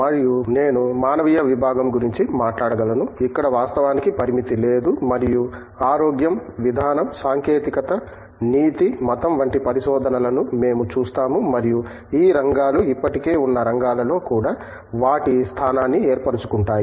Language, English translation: Telugu, And, I can speak about the humanities department, here there is no limit in fact and we see the research ranging in health, policy, technology, ethics, religion and these areas do find a space in existing areas as well